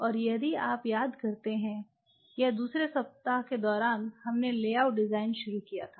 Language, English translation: Hindi, And if you recollect up to a second week or during the second week we have started the layout design